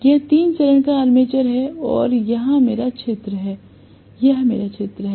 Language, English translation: Hindi, This is the three phase armature and here is my field, so this is the field